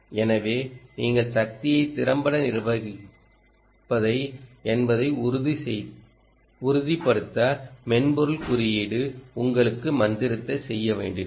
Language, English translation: Tamil, so this is what software code will have to do ah, the magic for you to ensure that you manage the power effectively